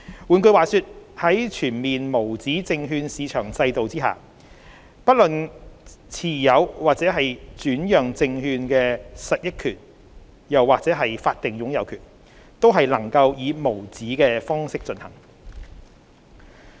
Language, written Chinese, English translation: Cantonese, 換句話說，在全面無紙證券市場制度下，不論是持有或轉讓證券的實益權益或法定擁有權，均能以無紙的方式進行。, In other words upon the full implementation of the USM regime both the holding and transfer of legal title to or the beneficial interest in securities can be done in uncertificated form